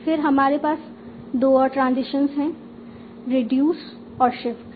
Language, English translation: Hindi, So that means you can choose between reduce and shift